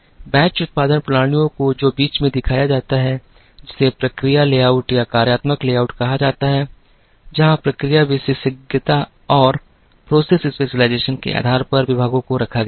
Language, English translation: Hindi, The batch production systems which are shown in the middle have what is called process layout or functional layout, where departments were laid out based on process specialization